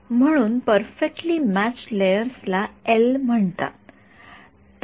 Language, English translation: Marathi, So, called perfectly matched layer L is for layer